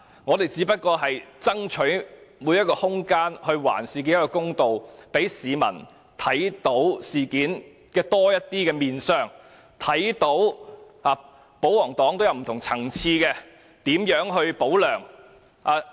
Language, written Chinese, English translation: Cantonese, 我們只是爭取空間，還事件一個公道，讓市民看到事件更多面相，看到保皇黨在不同層次上"保梁"。, We are just fighting for room to do justice by enabling people to see the true picture of the incident . Members of the public can clearly see how the royalists pro - LEUNG at different levels